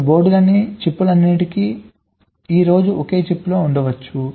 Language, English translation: Telugu, now all those chips on the boards can be squeezed in to a single chip today